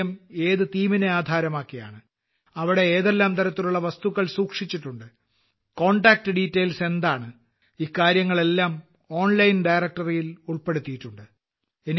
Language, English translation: Malayalam, On what theme the museum is based, what kind of objects are kept there, what their contact details are all this is collated in an online directory